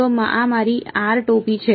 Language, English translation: Gujarati, So, this is my r hat